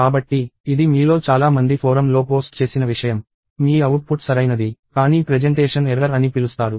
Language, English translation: Telugu, So, this is something that many of you posted on the forum that, your output is correct; but there is something called presentation error